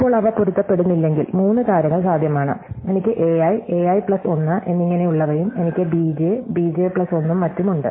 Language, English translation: Malayalam, Now, if they do not match now three things are possible, so I have a i, a i plus 1 and so on and I have b j, b j plus 1 and so on